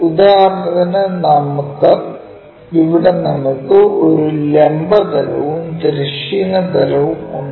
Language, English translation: Malayalam, This is the horizontal plane and this is the vertical plane